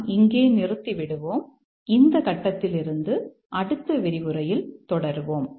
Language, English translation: Tamil, We will stop here and we will continue in the next lecture from this point